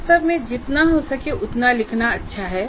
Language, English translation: Hindi, In fact, it is good to write as much as you can